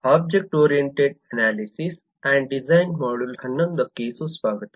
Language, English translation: Kannada, welcome back to module 11 of object oriented analysis and design